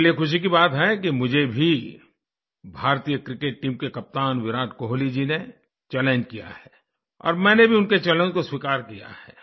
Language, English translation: Hindi, For me, it's heartwarming that the captain of the Indian Cricket team Virat Kohli ji has included me in his challenge… and I too have accepted his challenge